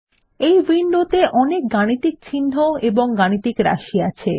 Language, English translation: Bengali, This window provides us with a range of mathematical symbols and expressions